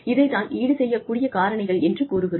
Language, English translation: Tamil, This is, what is meant by, compensable factors